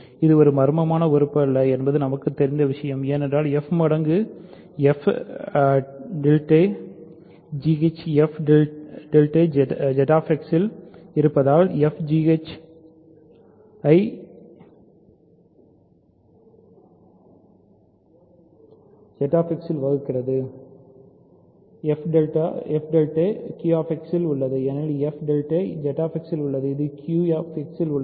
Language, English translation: Tamil, This is not mysterious right what we know is that f times some f tilde is g h where f tilde is in Z X because f divides g h in Z X means f times f tilde is in g h, but f tilde is also in Q X because f tilde is in Z X it is in Q X